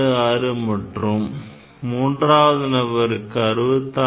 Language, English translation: Tamil, 66 and other person 66